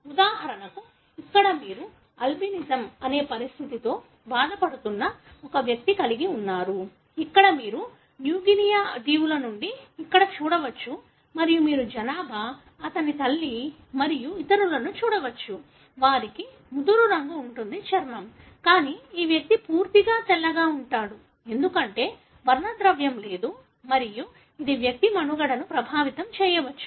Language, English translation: Telugu, For example, here you have an individual who is affected by a condition called Albinism, wherein there is complete lack of pigmentation as you can see here these are from New Guinea Islands and you can see the population, mother and others, they have darker colour skin, but this individual is completely white, because there is no pigmentation and this might affect the survival of the individual